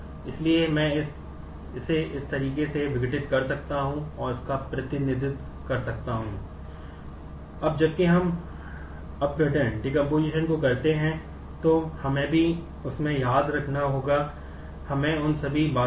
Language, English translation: Hindi, So, I can do it in decompose it in this manner and represent that